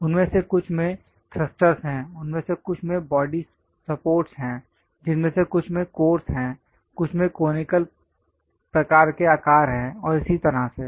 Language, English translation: Hindi, Some of them having thrusters, some of them having body supports, some of them having cores, some of them having conical kind of shapes and so on so things